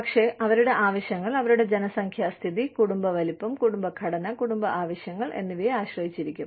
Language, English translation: Malayalam, But, their needs would depend, on their demographic status, their family size, family structure, family needs